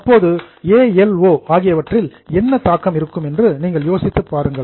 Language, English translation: Tamil, Now can you think of what will be the impact on A, L and O